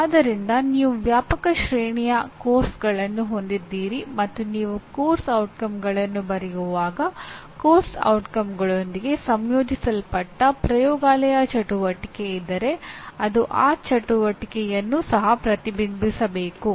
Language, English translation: Kannada, So you have a wide range of courses and when you write course outcomes it should, if there is a laboratory integrated into that the course outcomes should reflect the laboratory activity as well